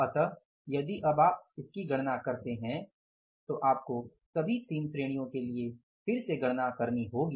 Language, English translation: Hindi, So if you now calculate it, you have to again calculate for all the three categories